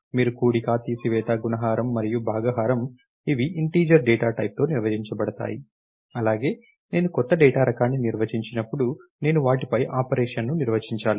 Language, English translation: Telugu, Just is you had addition, subtraction, multiplication, and division defined on let us say the integer data type, when I define a new data type, I have to define operation on them